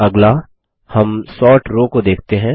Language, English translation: Hindi, Next, let us look at the Sort row